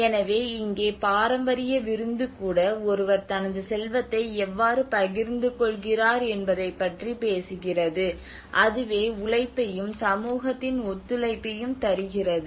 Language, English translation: Tamil, So here even the traditional feast it is talking about how it actually one is sharing his wealth, and that is how brings the labour and the communityís cooperation